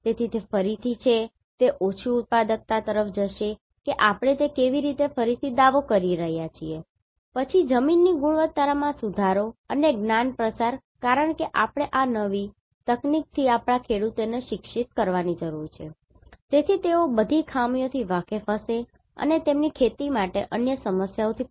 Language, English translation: Gujarati, So, that is again, it will go to low productivity how we are reclaiming that one right, then improvement of soil quality and dissemination of knowledge because we need to educate our farmers with this new technology, so that they will be aware of all the drawbacks and the other problems for their cultivation